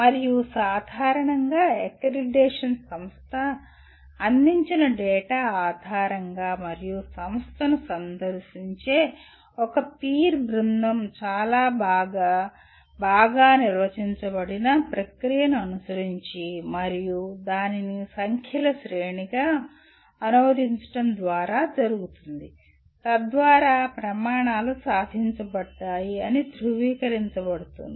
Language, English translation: Telugu, And generally the accreditation is done by based on the data provided by the institution and as well as a peer team visiting the institution as following a very well, well defined process and to translate that into a series of numbers which state that to what extent the criteria have been attained